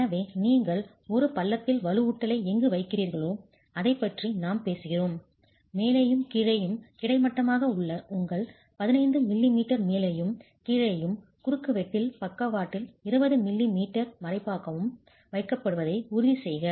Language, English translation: Tamil, So, we are talking of wherever you are placing reinforcement in a groove, ensure that at the top and the bottom, if it is horizontally placed, you are 15 m m at the top in the bottom, whereas 20 m m on the sides in the cross section as cover provided by concrete to the steel reinforcement